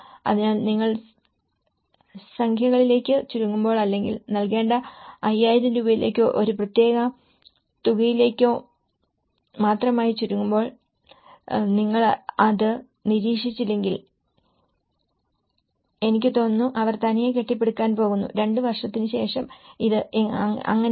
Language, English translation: Malayalam, So, that is how, when you narrow down to numericals or you narrow down only to the 5000 rupees or a particular amount to be given, I think if you donít monitor it, how they are going to build up and after two years this is the case